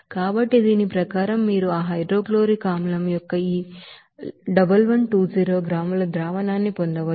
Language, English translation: Telugu, So as per that you can get this 1120 gram solution of that hydrochloric acid